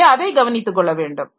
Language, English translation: Tamil, So, that has to be taken care of